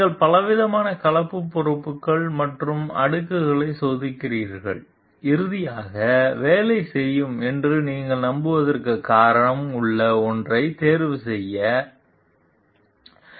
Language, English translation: Tamil, You test several different composite materials and layups and finally, choose one that you have reason to believe will work